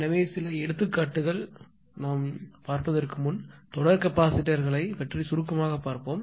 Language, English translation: Tamil, So just before taking few examples let us summarize about per series capacitors right